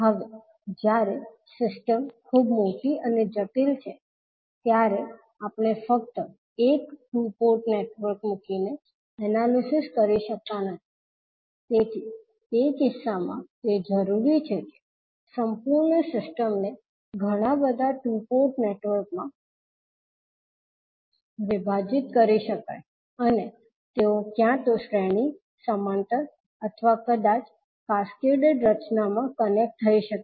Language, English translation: Gujarati, Now, when the system is very large and complex, we cannot analyse simply by putting one two port network, so in that case it is required that the complete system can be subdivided into multiple two port networks and those can be connected either in series, parallel or maybe in cascaded formation